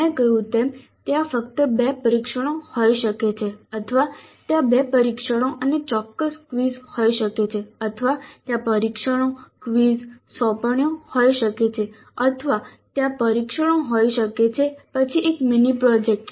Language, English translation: Gujarati, As I mentioned there can be only two tests or there can be two tests and certain quizzes or there can be tests, quizzes, assignments or there can be tests, then a mini project